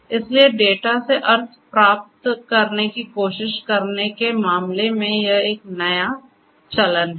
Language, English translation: Hindi, So, this is a new trend in terms of you know in terms of trying to gain meanings out of the data